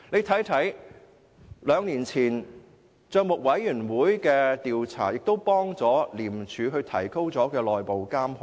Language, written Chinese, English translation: Cantonese, 大家可以看到，帳委會兩年前的調查亦有助廉署提高內部監控。, Members can see for themselves how the PAC inquiry two years ago has helped ICAC enhance its internal control